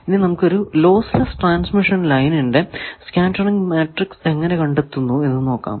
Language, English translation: Malayalam, Now, first let us find the transmission parameter of a lossless transmission line